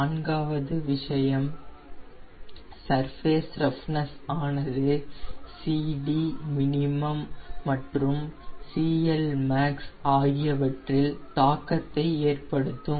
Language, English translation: Tamil, and fourth point: surface roughness influences your cd, cd min and cl max